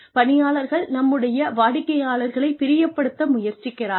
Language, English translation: Tamil, As employees, we are constantly trying to please our customers